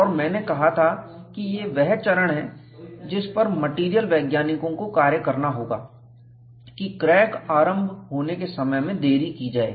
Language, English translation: Hindi, I said, this is the phase where material scientists have to work to delay the crack initiation